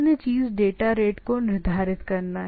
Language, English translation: Hindi, Another things is the data rate is fixed